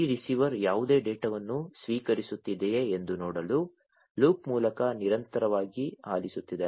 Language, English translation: Kannada, This receiver is listening continuously through a loop to see if there is any you know any data being received